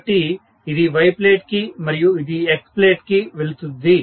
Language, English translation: Telugu, So, this goes to Y plate and this goes to X plate